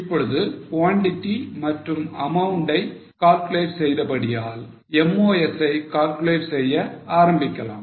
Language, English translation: Tamil, Now having calculated quantity and amount, go for calculation of MOS